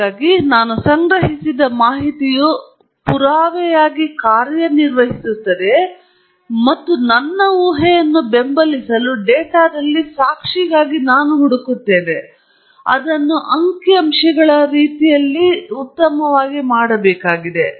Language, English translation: Kannada, So, the data I have collected serves as an evidence and I search for evidence in the data to support my hypothesis, and that has to be done in statistically sound manner